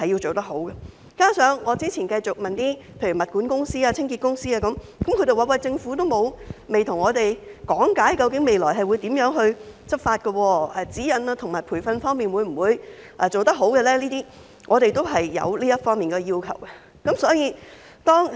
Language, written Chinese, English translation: Cantonese, 再者，我之前曾詢問物管公司、清潔公司等，他們也表示政府未有向他們講解未來會如何執法，以及在指引和培訓上如何做好，我們是有這方面的要求的。, Moreover I have previously asked property management companies and cleaning companies about this and they said that the Government has not explained to them how law enforcement will be carried out in the future and how guidelines and training will be properly provided to let them know the requirements